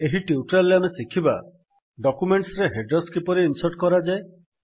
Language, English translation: Odia, In this tutorial we will learn: How to insert headers in documents